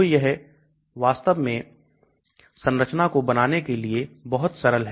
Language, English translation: Hindi, So that is very, very simple to do rather than actually drawing structures